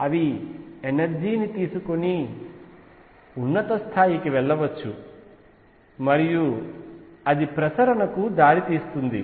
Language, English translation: Telugu, They may take energy and go to the higher levels, and that lead to conduction